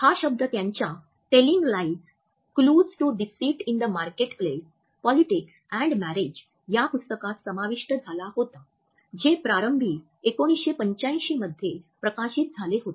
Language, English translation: Marathi, This term was incorporated in his book Telling Lies: Clues to Deceit in the Marketplace, Politics and Marriage which was initially published in 1985